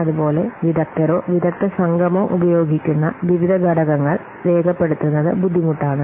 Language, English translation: Malayalam, Similarly, it is hard to document the various factors which are used by the experts or the experts group